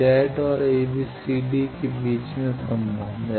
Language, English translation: Hindi, There are relations between Z and a, b, c, d